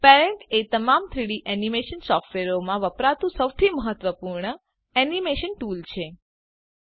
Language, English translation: Gujarati, Parentis the most important animation tool used in all 3D animation softwares